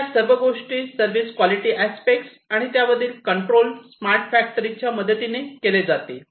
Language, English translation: Marathi, So, all of these things, the service quality aspects, and the control of them are all going to be performed with the help of smart factories in the smart factory environment